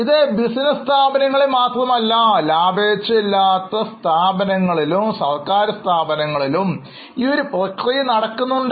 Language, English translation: Malayalam, It is not only restricted to business entities, it is equally useful for non profit organizations, for government organizations